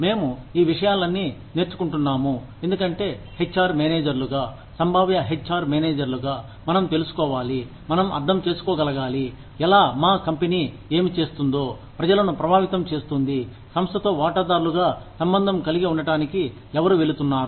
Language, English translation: Telugu, We are learning, all these things, because, as HR managers, as potential HR managers, we need to know, we need to be able to understand, how, what our company is doing, is going to affect the people, who are going to be associated with the company, as stakeholders